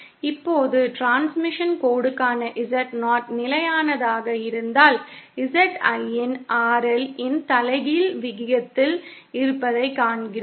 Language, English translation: Tamil, Now, if Z0 for the transmission line is kept constant, then we see that ZIn is proportional to the inverse of RL